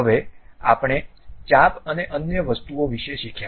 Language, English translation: Gujarati, Now, we have learned about arcs and other thing